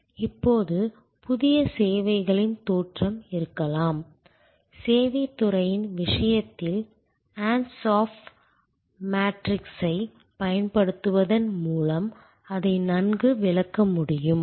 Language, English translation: Tamil, Now, new services can have origins, which can be well explained by adopting the Ansoff matrix in case of the service industry